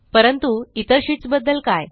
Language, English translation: Marathi, But what about the other sheets